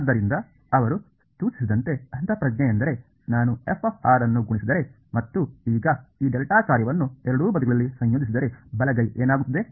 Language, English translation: Kannada, So, as he suggested the intuition is that if I multiply f of r and now integrate this delta function on both sides what will the right hand side become